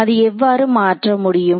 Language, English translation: Tamil, So, that can get converted how